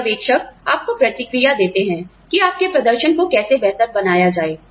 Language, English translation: Hindi, Supervisors give you feedback on, how to improve your performance